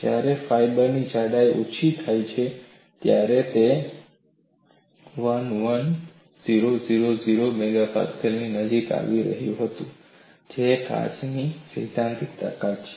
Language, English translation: Gujarati, When the thickness of the fiber is reduced, it was approaching 11000 MPa that is a theoretical strength of glass